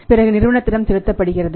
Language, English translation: Tamil, Then it can be paid back to the company